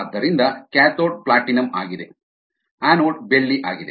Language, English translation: Kannada, so the cathode is platinum, anode is silver